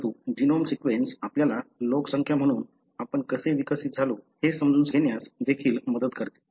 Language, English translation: Marathi, But, the genome sequence also helps us to understand how we evolved as a population